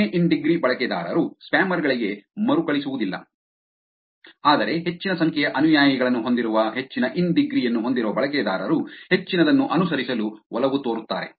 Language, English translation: Kannada, Users of less in degree do not reciprocate to spammers; whereas, users with larger in degree which is larger number of followers tend to follow back more